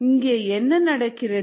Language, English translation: Tamil, what is happening here